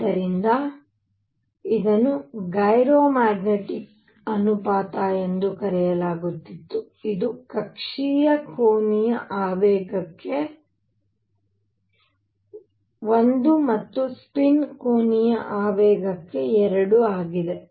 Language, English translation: Kannada, So, this was called the gyro magnetic ratio which is one for orbital angular momentum and 2 for a spin angular momentum